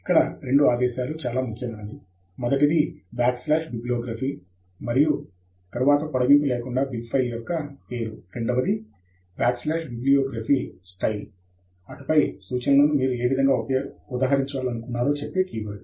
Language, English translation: Telugu, Here are the two commands that are most important: \bibliography and then the name of the bib file without the extension, and then, the \bibliography style, and then, a keyword that tells you in which way you want to cite the references